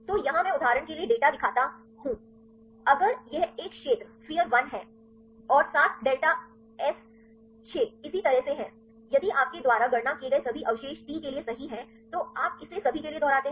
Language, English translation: Hindi, So, here I show the data for example, if this is sphere one and seven delta s is six likewise if all the residues you compute right get for the t one then you repeat it for all the residues in the protein right, then we will get the value